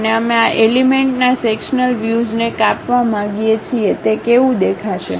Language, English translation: Gujarati, And we would like to have cut sectional view of this element, how it looks like